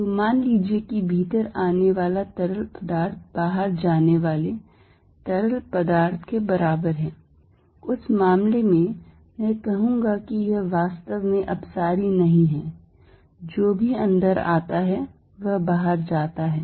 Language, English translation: Hindi, So, suppose fluid coming in is equal to fluid going out in that case I would say it is not really diverging whatever comes in goes out